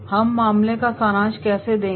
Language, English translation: Hindi, How we will summarise the case